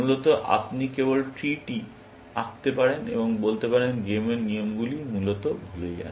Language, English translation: Bengali, You could just draw the tree and say, forget about the rules of the game, essentially